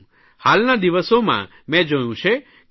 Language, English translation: Gujarati, These days I have noticed that some T